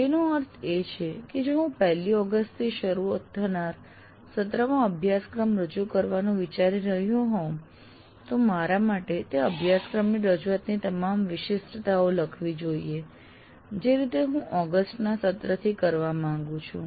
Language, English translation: Gujarati, That means if I am planning to offer a course, let's say in the coming semester from August 1st, I should write for myself all the specifics of the offering of that course the way I want to do from the August term